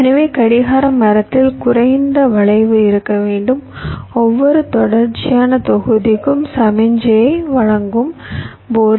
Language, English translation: Tamil, so the clock tree should have low skew, so while delivering the signal to every sequential block